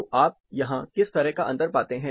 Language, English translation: Hindi, So, what kind of difference you find here